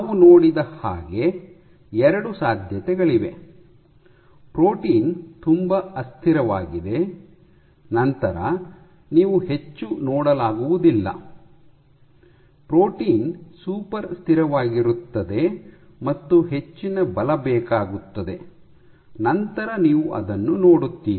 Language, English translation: Kannada, There are 2 possibilities we have seen; protein is very unstable then you would not see much, protein is super stable and requires high forces then you will see it